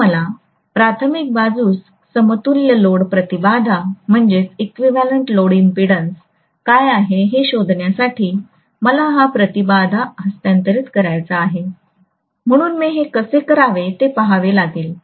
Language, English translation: Marathi, So if I want to find out what is the equivalent load impedance on the primary side, so I want to transfer the impedance, so I have to see how I do it